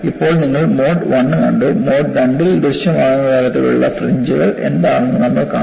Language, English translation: Malayalam, Now, you have seen mode 1; we would see what is the kind of fringes appearing in mode 2